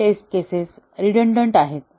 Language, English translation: Marathi, Some test cases are redundant